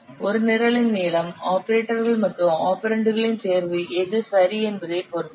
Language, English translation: Tamil, The length of a program it will depend on the choice of the operators and operands used in the program